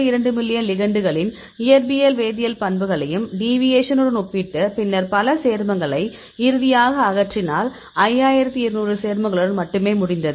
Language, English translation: Tamil, 2 million ligands, you compare with the deviation then we can remove several compounds finally, we ended up with only 5200 compounds